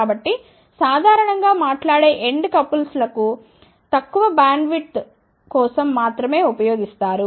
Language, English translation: Telugu, So, that is why generally speaking end couples are used only for smaller bandwidth